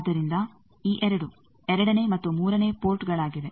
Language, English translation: Kannada, So, you see these 2 are 2 and 3 port